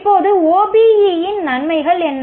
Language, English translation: Tamil, Now what are the advantages of OBE